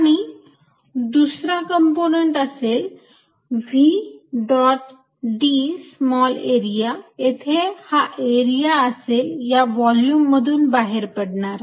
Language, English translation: Marathi, And other components is actually nothing but v dot d small area where the direction of area is equal to pointing out of the volume